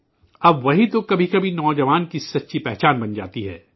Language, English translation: Urdu, Sometimes, it becomes the true identity of the youth